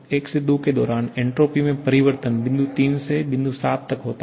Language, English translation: Hindi, Now, during 1 to 2, the change in entropy is from point 3 to point 7